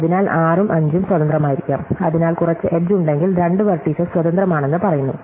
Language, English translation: Malayalam, So, may be 6 and 5 are independent, so we say that two vertices are independent, if there is an edge